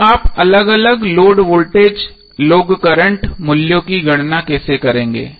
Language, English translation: Hindi, So how you will calculate the different load voltage and load current values